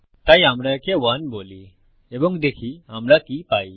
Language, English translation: Bengali, So we said this 1 and see what will we get